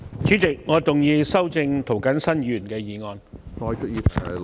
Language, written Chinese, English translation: Cantonese, 主席，我動議修正涂謹申議員的議案。, President I move that Mr James TOs motion be amended